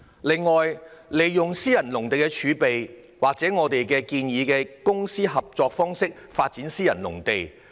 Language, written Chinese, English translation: Cantonese, 另外，我們建議利用私人農地儲備，或以公私營合作方式發展私人農地。, Moreover we propose tapping into private agricultural land reserve or developing private agricultural land under the public - private partnership approach